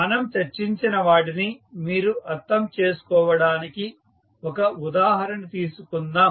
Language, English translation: Telugu, Let us, take one example so that you can understand what we have discussed